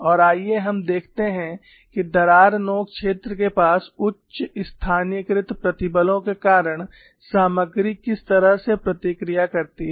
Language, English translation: Hindi, And let us look at what way the material responds, because of high localized stresses near the crack tip region